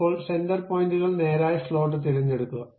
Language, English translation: Malayalam, Now, pick the center points straight slot